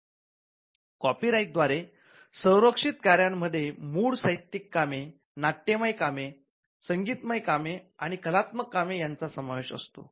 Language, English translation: Marathi, Works protected by copyright include original literary works, dramatic works, musical works and artistic works, it includes cinematograph films, it includes sound recordings